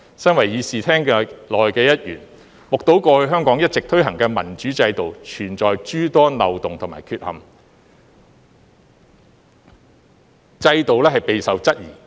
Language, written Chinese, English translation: Cantonese, 身為議事廳內的一員，目睹過去香港一直推行的民主制度存有諸多漏洞和缺陷，制度備受質疑。, As a Member in this Chamber I have seen numerous loopholes and flaws in the democratic system that has been implemented in Hong Kong . The system has been questioned